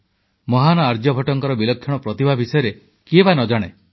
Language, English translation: Odia, Who doesn't know about the prodigious talent of the great Aryabhatta